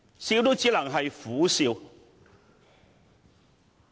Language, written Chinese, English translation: Cantonese, 笑也只能是苦笑。, Even if I smiled it could only be a bitter smile